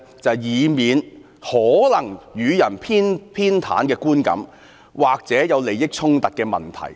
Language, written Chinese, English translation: Cantonese, 就是以免可能予人偏袒的觀感，或者有利益衝突的問題。, That is to avoid giving the public an impression that there is bias or a conflict of interest